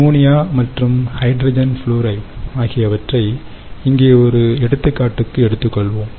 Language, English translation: Tamil, so let us take one example over here: ammonia and hydrogen fluoride